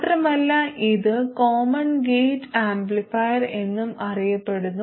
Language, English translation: Malayalam, So, that's it about the common gate amplifier